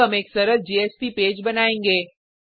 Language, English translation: Hindi, We will now create a simple JSP page